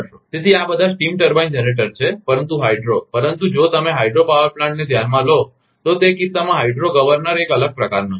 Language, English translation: Gujarati, So, these are all steam turbine generator, but the hydro, but if you consider hydro power plant, then in that case the hydro governor is a different type